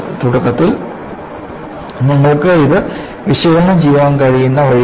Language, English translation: Malayalam, That is the way you can analyze it to start with